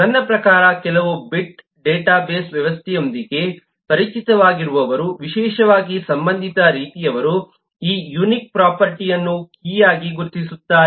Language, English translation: Kannada, I mean those of you who are familiar with some bit of database systems, particularly eh of the relational kind, will identify this unique property as a key